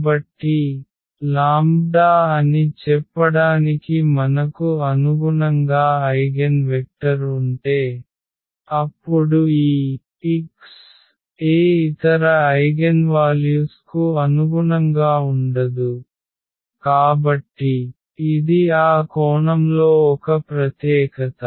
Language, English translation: Telugu, So, if you have an eigenvector corresponding to let us say the lambda, then this x cannot correspond to any other eigenvalue, so it is a unique in that sense